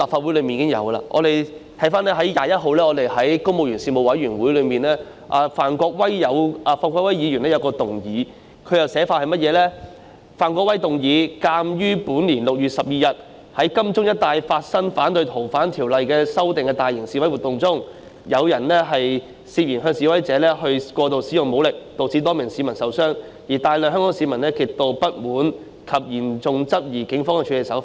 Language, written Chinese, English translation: Cantonese, 回看本月21日的公務員及資助機構員工事務委員會會議上，范國威議員提出了一項議案，內容是"鑒於本年6月12日在金鐘一帶發生反對《逃犯條例》修訂大型示威活動中，有人涉嫌向示威者過度使用武力，導致多名市民受傷，而大量香港市民極度不滿及嚴重質疑警方的處理手法。, Looking back at the meeting of the Panel on Public Service on 21 this month Mr Gary FAN proposed a motion which reads During the mass demonstration in protest against the proposed amendment to the Fugitive Offenders Ordinance taking place in the vicinity of Admiralty on 12 June 2019 police officers allegedly used excessive force against protesters and causing injuries to a number of citizens; many Hong Kong citizens are extremely unsatisfied with the Police and they vehemently query the manner of the Police in handling the incident